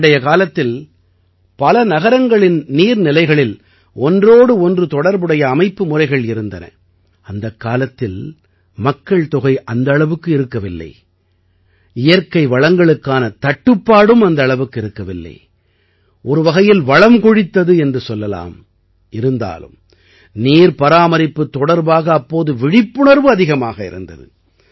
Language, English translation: Tamil, In ancient times, there was an interconnected system of water sources in many cities and this was the time, when the population was not that much, there was no shortage of natural resources, there was a kind of abundance, yet, about water conservation the awareness was very high then,